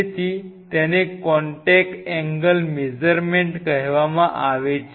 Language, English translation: Gujarati, So, that is called contact angle measurements